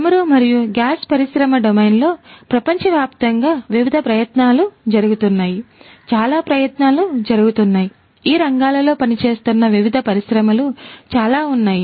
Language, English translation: Telugu, So, there are different efforts globally that are going on in this particular industry domain oil and gas industry domain; lot of efforts are going on, lot of these different industries operating in these spheres